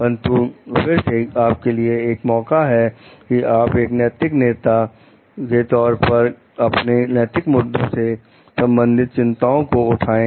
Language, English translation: Hindi, But, again there could be chances for you to be a moral leader, and raise your ethical issues concerns